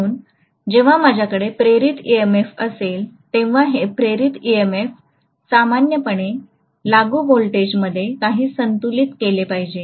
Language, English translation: Marathi, So when I have an induced EMF, this induced EMF should be balancing whatever is the applied voltage normally, right